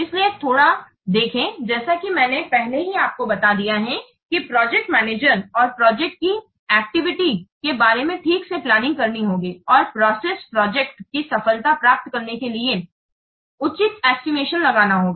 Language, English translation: Hindi, So that's why let's see, I have already told you has to the project manager has to plan properly regarding the activities of the project and do proper estimation in view to get the project success